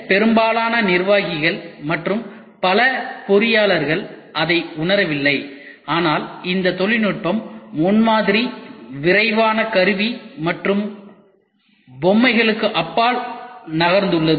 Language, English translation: Tamil, Main most executives and many engineers do not realize it, but this technology has moved well beyond prototyping, rapid tooling and toys